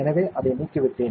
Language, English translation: Tamil, So, I have removed it